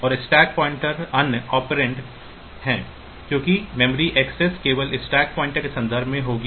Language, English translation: Hindi, And the stack pointer is the other operand so, because the memory access will be in terms of the stack pointer only